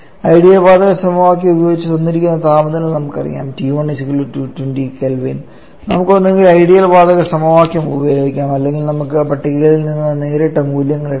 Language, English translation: Malayalam, Using ideal gas equation we know that given temperature T1 is 220 kelvin then we can either use ideal gas equation of state or we can directly take the values from the tables